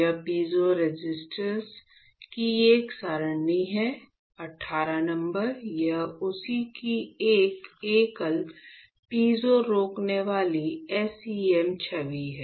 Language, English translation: Hindi, So, these are an array of piezo resistors, 18 numbers; this is a single piezo resistor SEM image of that